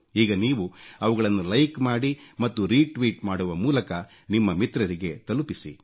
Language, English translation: Kannada, You may now like them, retweet them, post them to your friends